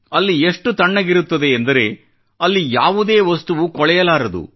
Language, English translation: Kannada, It is so cold there that its near impossible for anything to decompose